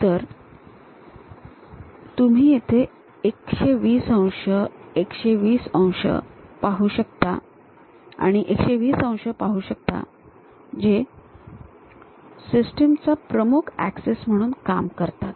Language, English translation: Marathi, So, you can see here the 120 degrees, 120 degrees and 120 degrees which serves as principal axis of the system